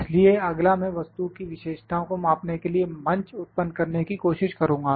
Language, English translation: Hindi, So, next I am trying to generate the platform to measure the features of the object